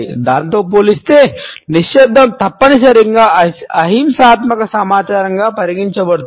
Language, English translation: Telugu, In comparison to that silence is necessarily considered as a non violent communication